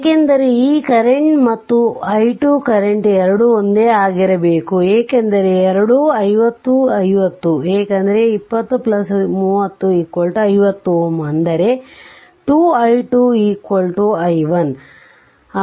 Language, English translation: Kannada, Because both current this current and i 2 current both have to be same because both are 50 50 because 20 plus 30 50 ohm; that means, 2 i 2 is equal to your i 1